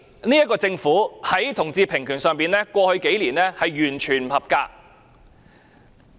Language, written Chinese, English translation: Cantonese, 這個政府在同志平權上，過去數年的表現完全不合格。, The performance of the Government in respect of equal rights for people of different sexual orientations has indeed failed in the past few years